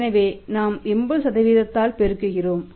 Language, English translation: Tamil, So, we are multiplied by the 80%